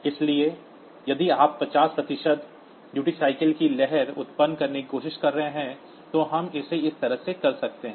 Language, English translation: Hindi, So, if you are trying to generate a wave of duty cycle 50 percent, then we can do it like this